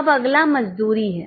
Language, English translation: Hindi, Now next one is wages